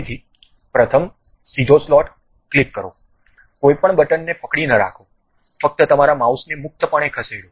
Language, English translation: Gujarati, Again, first straight slot, click, do not hold any button, just freely move your mouse